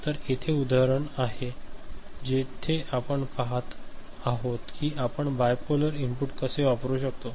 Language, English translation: Marathi, So, here is an example where we see that how we can use a bipolar input ok